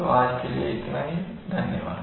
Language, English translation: Hindi, So that is all for today thank you very much